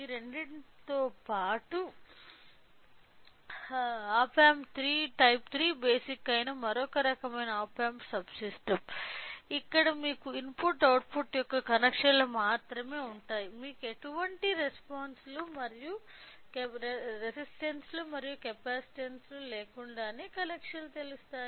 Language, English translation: Telugu, Along with this two, other type of op amp subsystem which is op amp type 3 basic, where it has only the connections of input output you know connections without any resistances and capacitances